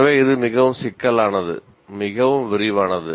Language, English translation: Tamil, So you know this is much more complicated, much more detailed